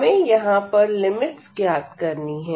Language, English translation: Hindi, So, we need to find the limits now